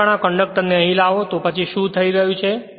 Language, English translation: Gujarati, Whenever bringing this conductor here, then what is happening